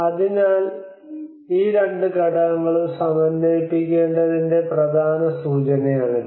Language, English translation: Malayalam, So this is one of the important indication that we need to integrate these two components